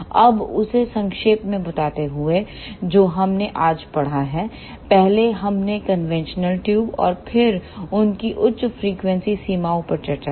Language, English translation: Hindi, Now, just to summarize what we discussed today is first we discussed conventional tubes then their high frequency limitations